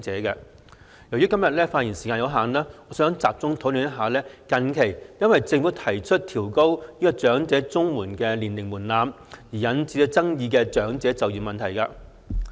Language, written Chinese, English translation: Cantonese, 由於今天的發言時間有限，我想集中討論近期因政府提出調高長者綜合社會保障援助年齡門檻而引起爭議的長者就業問題。, Given the speaking time limit today I wish to focus my discussion on the recent controversy over elderly employment caused by the Governments proposal for raising the age threshold for elderly Comprehensive Social Security Assistance CSSA